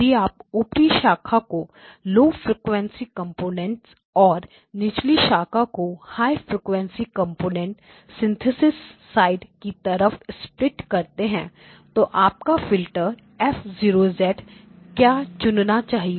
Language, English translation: Hindi, Now if you have split the upper branch as the low frequency components and the lower branches as the high frequency components on the synthesis side what should your filter F0 be picking out